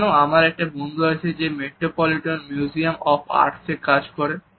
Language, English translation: Bengali, You know I have a friend, who works at the metropolitan museum of art